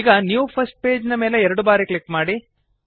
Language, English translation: Kannada, Now double click on the new first page